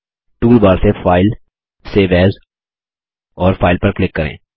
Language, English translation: Hindi, From the toolbar, click File, Save As and File